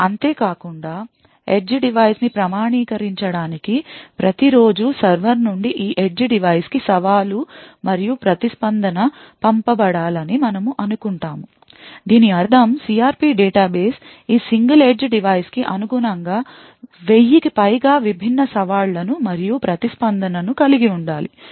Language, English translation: Telugu, Further, we assume that every day there should be challenged and response sent from the server to this edge device so as to authenticate the edge device, this would mean that the CRP database should have over thousand different challenges and response corresponding to this single edge device